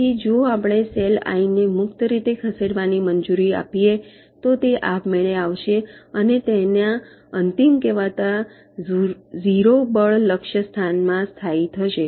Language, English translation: Gujarati, so if we allow the cell i to move freely, it will automatically come and rest in its final so called zero force target location